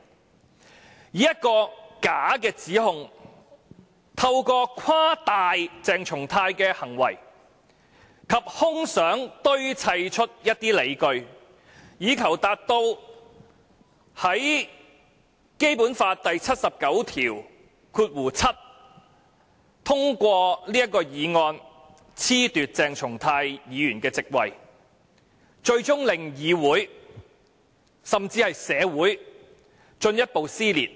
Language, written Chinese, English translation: Cantonese, 他以一個假的指控，透過誇大鄭松泰議員的行為，以他的空想堆砌出一些理據，以求根據《基本法》第七十九條第七項通過議案，褫奪鄭松泰議員的席位，最終令議會甚至社會進一步撕裂。, His allegation is a mere fabrication originating from his exaggeration of Dr CHENG Chung - tais action and justified by his mere imagination . All of these are done to ensure that the motion moved under Article 797 of the Basic Law can be passed to disqualify Dr CHENG Chung - tai from his office of Member of the Legislative Council which will push the legislature and society further apart